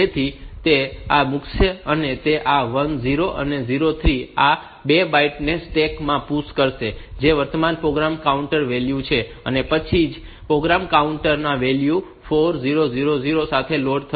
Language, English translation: Gujarati, So, it will put it will PUSH this 1 0 and 0 3 these 2 bytes into the stack, which is the current program counter value